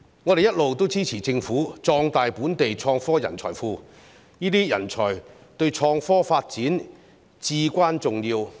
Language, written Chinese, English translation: Cantonese, 我們一直支持政府壯大本地創科人才庫，這些人才對創科發展至關重要。, We have all along supported the Government to expand the innovation and technology talent pool of Hong Kong which is crucial to innovation and technology development